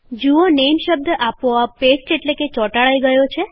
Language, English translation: Gujarati, We see that the word NAME gets pasted automatically